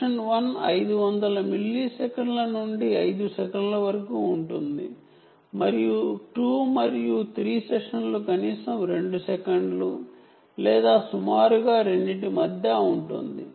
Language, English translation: Telugu, session one is five hundred milliseconds to five seconds, ah, and two and three sessions is at least at least two seconds, something like in between the two